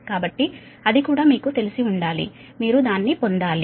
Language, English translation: Telugu, so that also you have to, you have to get it